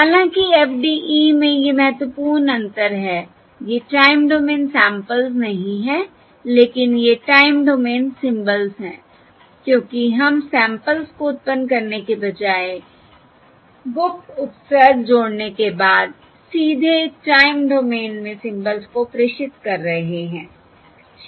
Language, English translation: Hindi, However, in FDE, the important differences, these are not the time domain samples, but these are the time domain symbols, because we are directly transmitting the symbols in the time domain after adding the secret prefix, rather than generating samples